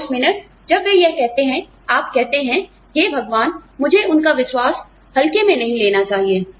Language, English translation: Hindi, And the minute, they say it, you say, oh my God, I should not take their faith for granted